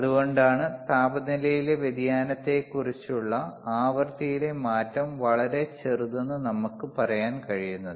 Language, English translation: Malayalam, tThat is why we can say that the change in the frequency on the change in temperature is negligibly small